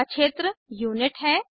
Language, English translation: Hindi, Next field is Unit